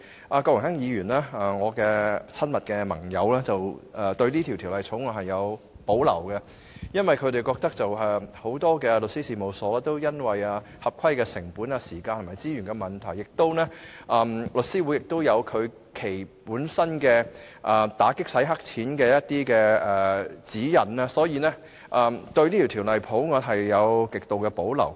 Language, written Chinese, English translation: Cantonese, 我的親密盟友郭榮鏗議員對《條例草案》有所保留，原因是很多律師事務所對於合規成本、時間和資源等問題均有意見，而且香港大律師公會本身已訂有打擊洗錢的指引，所以他們對《條例草案》極有保留。, My close ally Mr Dennis KWOK has reservation about the Bill because many law firms have some views on the costs time and resources required for compliance . The Hong Kong Bar Association also has strong reservation about the Bill as it has already developed its own guidelines to combat money - laundering